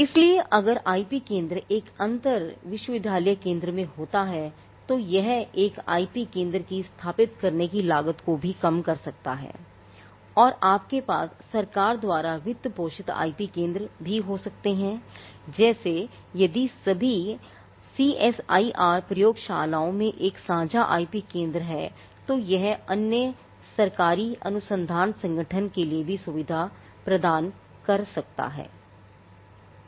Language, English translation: Hindi, So, if the IP centre sits in an inter university centre that could also bring down the cost of establishing an IP centre and you could also have government funded IP centres like if all the CSIR labs have a common IP centre that could also facilitate for other government research organizations